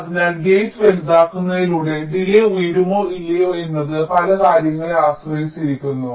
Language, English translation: Malayalam, so by making a gate larger, whether or not the delay will go up or go down, it depends on number of things